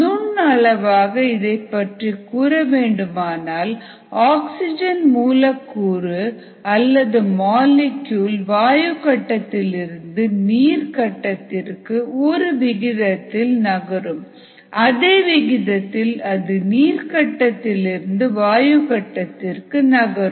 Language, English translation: Tamil, microscopically speaking, there is a rate at which oxygen molecules move from the gas phase to the liquid phase and there is a rate at which the oxygen molecules move from the liquid phase to the gas phase